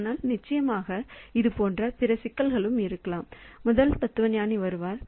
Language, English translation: Tamil, But of course there are other problems like it may so happen that the first philosopher comes up